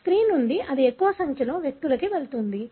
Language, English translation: Telugu, So therefore, from female it will go to more number of individuals